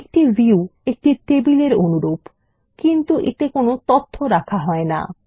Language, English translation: Bengali, A view is similar to a table, but it does not hold the data